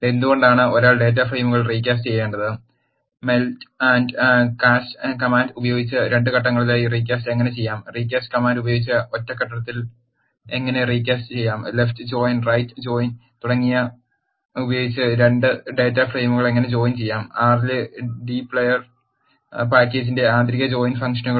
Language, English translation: Malayalam, Why do one need to recast the data frames, How the recasting can be done in 2 steps using melt and cast command, How the recasting can be done in a single step using recast command and how to join 2 data frames using left join right join and inner join functions of d player package in r